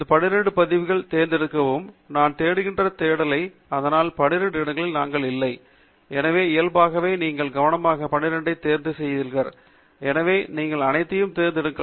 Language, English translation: Tamil, The step one is to select the records among these 12; we are not selecting from the whole of search but among these 12; so, naturally, you have carefully selected 12, so you can select all of them